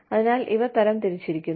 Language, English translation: Malayalam, So, these are classified